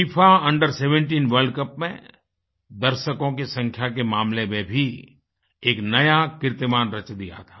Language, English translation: Hindi, FIFA Under 17 World Cup had created a record in terms of the number of viewers on the ground